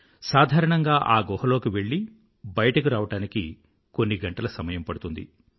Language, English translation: Telugu, Usually it takes a few hours to enter and exit that cave